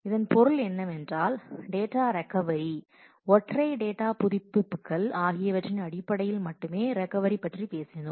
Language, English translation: Tamil, What this means is well, so far we have talked about recovery which is only in terms of data update, single data updates